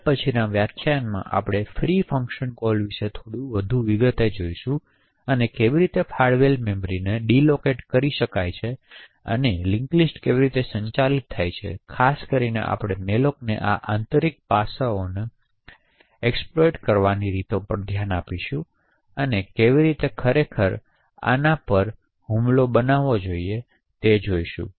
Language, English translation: Gujarati, In the next lecture we will look at more into detail about the free function call essentially how free deallocates the allocated memory and how the link list are managed and in particular we will actually look at the ways to exploit this internal aspects of malloc and how to actually create an attack on this scene